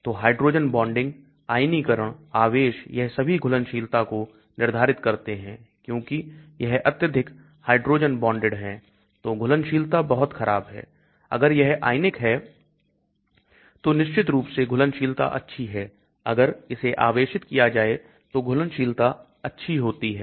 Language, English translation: Hindi, So hydrogen bonding, ionization, charge, all these determine solubility because if it is highly hydrogen bonded then solubility is very poor, if it is ionized of course solubility is good, if it is charged also solubility is good